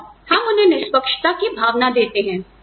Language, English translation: Hindi, And, we give them a sense of fairness